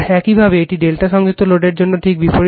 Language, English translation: Bengali, Similarly, for a delta connected load, just opposite